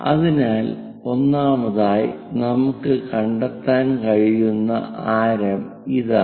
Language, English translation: Malayalam, So, first of all this is the radius what we can locate